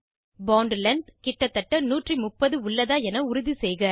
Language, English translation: Tamil, Ensure that bond length is around 130